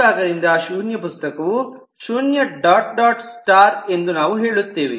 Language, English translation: Kannada, this side we say that it is zero dot dot star, that it could be zero book